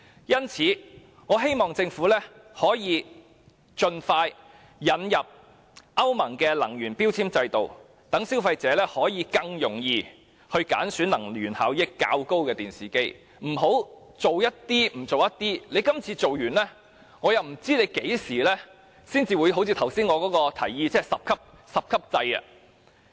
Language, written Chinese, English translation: Cantonese, 因此，我希望政府可以盡快引入歐盟的能源標籤制度，讓消費者可以更容易揀選能源效益較高的電視機，而不要每次只做一部分，然後不知要到何時才實施我剛才提議的十級制。, Therefore I hope that the Government will expeditiously implement the energy labelling system of the European Union so that consumers can easily buy more energy - efficient TVs . The Government should not only complete part of the work and left the other part undone . I am not sure when the 10 - grading system that I have just proposed will be implemented